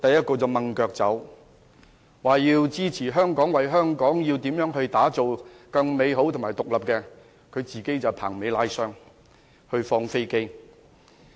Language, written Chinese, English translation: Cantonese, 他們說要支持香港，為香港打造更美好和獨立的未來，自己卻"棚尾拉箱"、"放飛機"。, While they have been saying that they would support Hong Kong and fight for a better and independent future for Hong Kong they have simply left abruptly and failed to show up